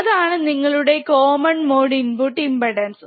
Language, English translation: Malayalam, What is the common mode input impedance